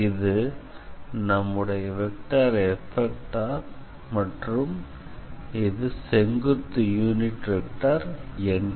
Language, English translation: Tamil, This is our vector F and this is our vector or the normal n